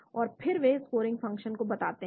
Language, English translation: Hindi, And then they report the scoring function